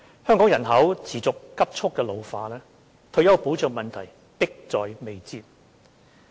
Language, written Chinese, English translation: Cantonese, 香港人口持續急速老化，退休保障問題迫在眉睫。, Given the persistent and rapid ageing of Hong Kongs population retirement protection is a pressing issue